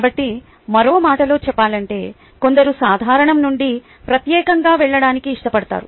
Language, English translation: Telugu, so, in other words, some like to go from general to particular